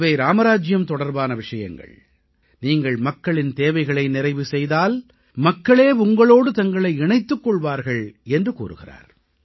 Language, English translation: Tamil, He states that these are matters related to Ram Rajya, when you fulfill the needs of the people, the people start connecting with you